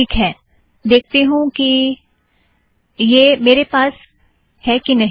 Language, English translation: Hindi, Okay let me see if I have this here